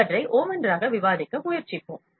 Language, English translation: Tamil, Let us try to discuss these one by one